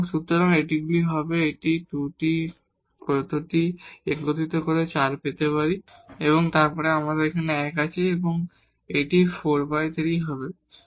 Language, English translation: Bengali, So, these will be, so here we can combine these 2 terms to get this 4 and then you have 1 there and this will become, so this would be a 3 by 4